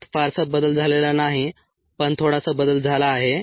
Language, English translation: Marathi, it's not change much, but it has changed a little bit